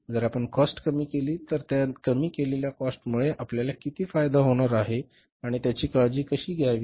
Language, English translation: Marathi, If we reduce the cost, how much benefit we are going to have out of that reduced cost and how to take care of that